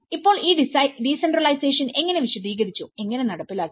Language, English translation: Malayalam, So, now how this decentralization process have explained, have been implemented